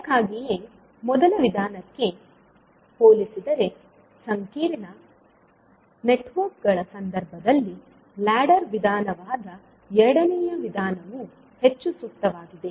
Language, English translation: Kannada, So that is why compared to first method, second method that is the ladder method is more appropriate in case of complex networks